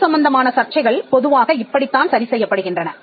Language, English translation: Tamil, Now disputes with regard to property is normally settled in this way